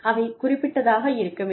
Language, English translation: Tamil, They need to be specific